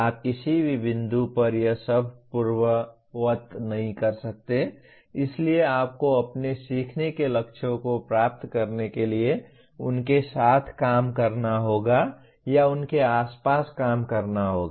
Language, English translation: Hindi, You cannot undo all this at any given point so you have to work with them or work around them to achieve your learning goals